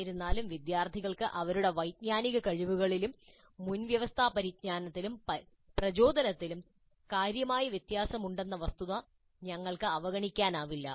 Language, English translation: Malayalam, However, we cannot ignore the fact that the students have considerable differences in their cognitive abilities and prerequisite knowledge and motivations